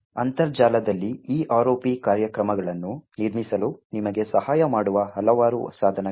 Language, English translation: Kannada, On the internet there are several tools which would help you in building these ROP programs